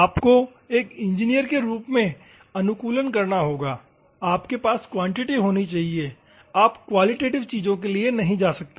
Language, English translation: Hindi, You have to optimize, you should as an engineer you should have a quantity to value, you cannot go for qualitative things